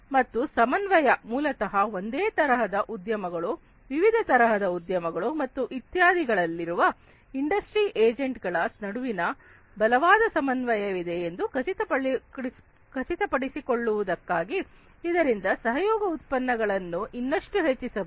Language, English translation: Kannada, And coordination is basically to ensure that there is stronger coordination between multiple industry agents in the same industry, across different industries, and so on, so that the collaboration productivity can be increased even further